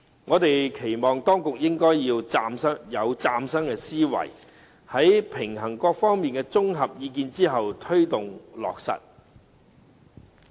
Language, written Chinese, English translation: Cantonese, 我們期望當局應以嶄新思維，在平衡各方利益和綜合意見後，推動落實。, We expect the authorities to take forward the implementation with a brand new mindset after striking a balance among the interests of all parties and consolidating their views